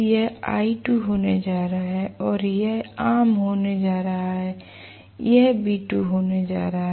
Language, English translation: Hindi, This is going to be l2 and this is going to be common and this is going to be v2